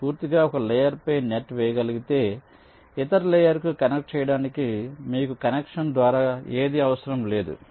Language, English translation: Telugu, if you can lay a net entirely on the same layer, you will not need any via connection for connecting to the other layer